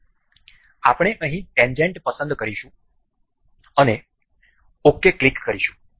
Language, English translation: Gujarati, So, we will select tangent over here and click ok